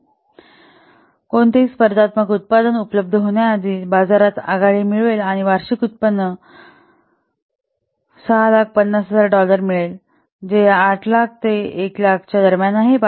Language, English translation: Marathi, So it will gain, that means, it will gain, so according to the survey, it will gain a market lead by launching before any competing product becomes available and achieve annual income of $6,000,000 which is in between this $8,000 and 1,000